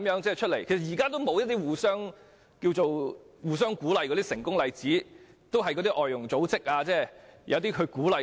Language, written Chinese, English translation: Cantonese, 但其實現在沒有一些互相鼓勵的成功例子，只靠外傭組織鼓勵他們。, But in fact successful examples are currently absent for them to encourage one another and they are just encouraged by foreign domestic helper groups